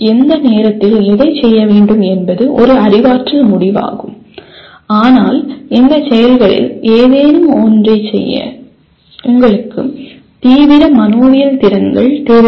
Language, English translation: Tamil, There is exactly what to do at what time is a cognitive decision but the dominance is to perform any of these activities you require extreme psychomotor skills